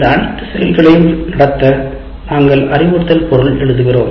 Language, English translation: Tamil, To conduct all those activities, we write the instruction material